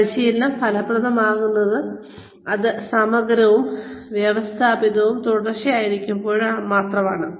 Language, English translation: Malayalam, Training can be effective, only when it is comprehensive, and systematic, and continuous